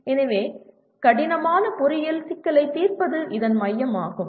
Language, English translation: Tamil, That is what it, so solving complex engineering problem is the core of this